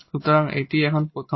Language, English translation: Bengali, So, this is the first one here